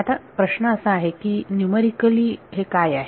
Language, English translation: Marathi, Now the question is numerically what is it